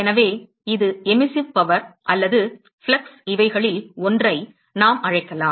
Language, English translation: Tamil, So, this is the Emissive power, or flux we could call either of them